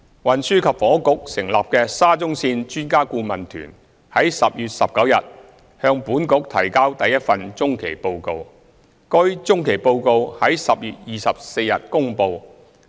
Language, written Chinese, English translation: Cantonese, 運輸及房屋局成立的沙中線專家顧問團於10月19日向本局提交第一份中期報告，該中期報告於10月24日公布。, The first interim report by the Expert Adviser Team set up by the Transport and Housing Bureau was submitted to the Bureau on 19 October and released on 24 October